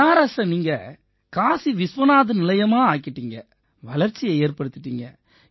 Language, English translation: Tamil, Sir, you have made Banaras Kashi Vishwanath Station, developed it